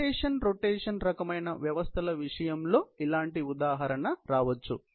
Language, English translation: Telugu, Similar example can come in case of rotation rotation kind of systems